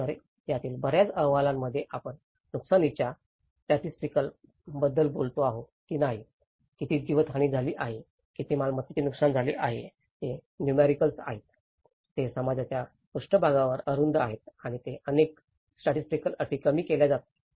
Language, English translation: Marathi, So, many of these reports whether we talk about the damage statistics, how much loss of life is damaged, how much property has been damaged, they are narrowed down to the numericals, they are narrowed down to the surface structures of the society and they are often reduced to the statistical terms